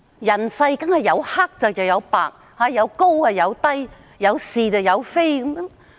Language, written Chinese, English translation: Cantonese, 人世當然有黑又有白，有高有低，有是有非。, There are certainly blacks and whites highs and lows and rights and wrongs in life